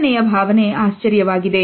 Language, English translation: Kannada, Number 5 is surprise